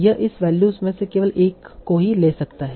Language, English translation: Hindi, It can take only one of these values